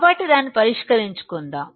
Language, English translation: Telugu, So, let us solve it